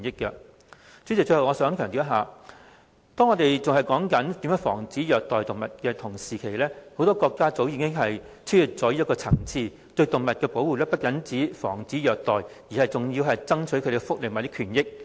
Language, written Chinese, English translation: Cantonese, 代理主席，最後，我想強調，當我們還在討論如何防止虐待動物的同時，很多國家早已超越這層次，對動物的保護不只限於防止虐待，更為動物爭取福利及權益。, Deputy President finally I wish to stress that while we are still discussing how to prevent animal cruelty many countries have surpassed this level long ago . The protection of animals means more than preventing cruelty but also striving for their welfare and rights